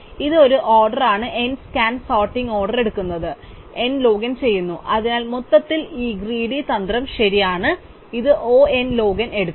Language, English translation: Malayalam, So, this is an order n scan sorting takes order n log in, so overall this greedy strategy is correct and it takes time O n log n